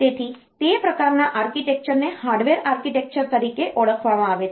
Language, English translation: Gujarati, So, that type of architecture is known as Harvard architecture